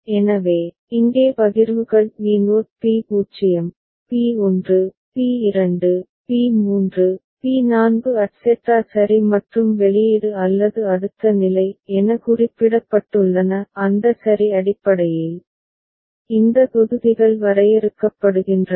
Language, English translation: Tamil, So, here the partitions have mentioned as P naught P0, P1, P2, P3, P4 etcetera alright and the output or next state based on that ok, these blocks are defined